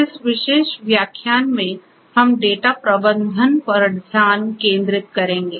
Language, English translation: Hindi, In this particular lecture we will focus on data management